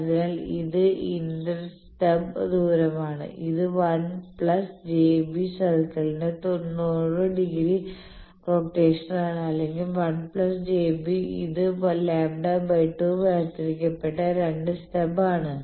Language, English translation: Malayalam, So, this is inter stub distance you see this is the ninety degree rotation of the 1 plus j b circle or 1 plus j b circle is this a lambda by 2 separated 2 stubs